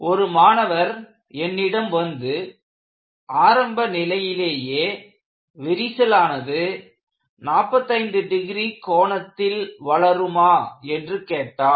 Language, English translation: Tamil, In fact, one of the students, came to me and asked, does the crack, initially propagate at 45 degrees